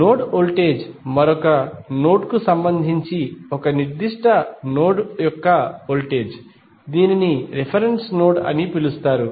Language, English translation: Telugu, Node voltage is the voltage of a particular node with respect to another node which is called as a reference node